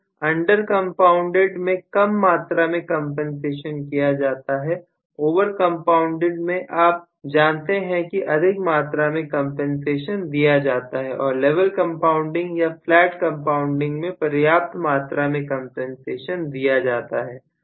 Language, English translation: Hindi, Under compounded is less amount of compensation given, over compounded is, you know, more amount of compensation given, and level compounded or flat compounded is just sufficient amount of compensation given